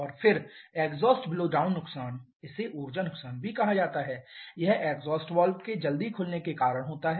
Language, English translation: Hindi, And then exhaust blowdown loss it is referred to as the energy waste because of early opening of the exhaust valve